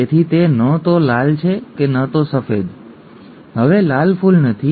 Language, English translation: Gujarati, So it is neither red nor white, CR C capital R, C capital W has resulted in a pink flower, no longer a red flower